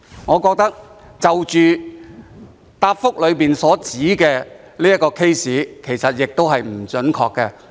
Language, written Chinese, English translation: Cantonese, 我覺得主體答覆中指出的個案的資料其實亦不準確。, I think that the information of the case pointed out in the main reply is not accurate either